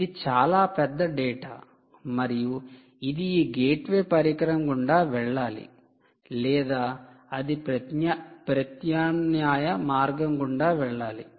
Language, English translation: Telugu, huge amount of data, and all the data will either have to pass through this gateway device or pass through another alternate route